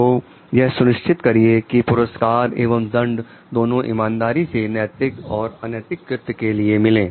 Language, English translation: Hindi, So, make sure like the rewards and penalties are levied fairly for ethical or unethical conduct